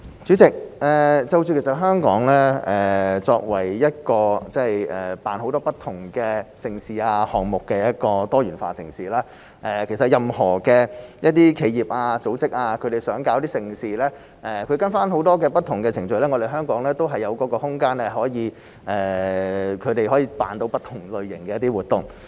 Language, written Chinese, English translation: Cantonese, 主席，香港作為一個舉辦很多不同盛事和項目的多元化城市，任何企業或組織若希望舉辦盛事，只要按照程序進行，香港是有空間讓它們舉辦不同類型的活動的。, President Hong Kong is a diversified city that organizes many different major events and projects . Any company or organization that wishes to organize a major event simply have to follow the procedures . There is room in Hong Kong for them to organize various types of event